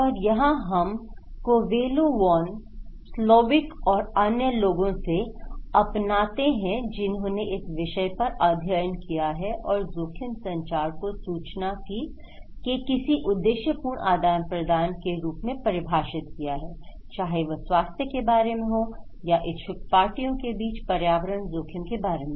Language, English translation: Hindi, And here, we took that was given by Covello, Von, Slovic and others in their study and they are saying that risk communication is defined as any purposeful exchange of information about health, environmental risk between interested parties